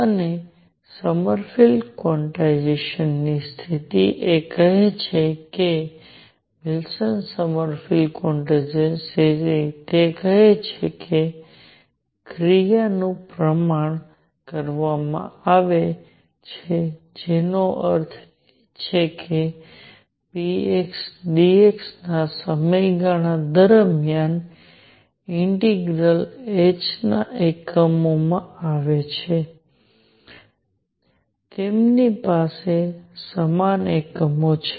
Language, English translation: Gujarati, And what Sommerfeld quantization condition tells is that Wilson Sommerfeld quantization condition it says that action is quantized that means, integral over a period of p x dx comes in units of h, they have the same units